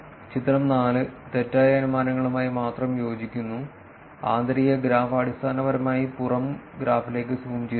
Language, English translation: Malayalam, Figure 4, corresponds only to the incorrect inferences and the inner graph is basically zoomed into the outer graph